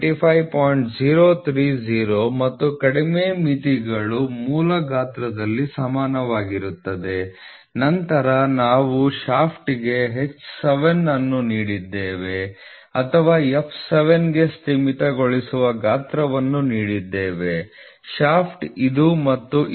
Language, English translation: Kannada, 030 and the lower limits are equal to in the basic size, then we have given H 7 for a shaft or the limiting size for f if f 7 shaft are this and this